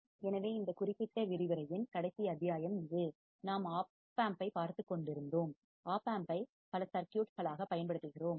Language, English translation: Tamil, So, this is the last module for this particular lecture, we were looking at the opamp and using the opamp as several circuits